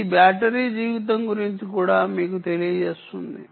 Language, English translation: Telugu, this will also tell you about the battery life